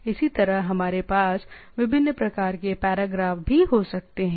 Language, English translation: Hindi, Similarly, we can have different type of paragraphs also